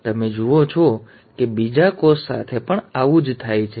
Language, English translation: Gujarati, So, you find, same thing happens with the other cell